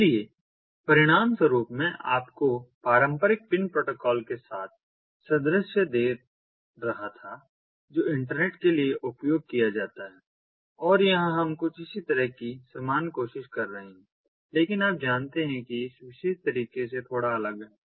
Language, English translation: Hindi, so, consequently, i was giving you the analogy with the traditional pin protocol that is used for internet and here we are trying to have something similar, but ah, ah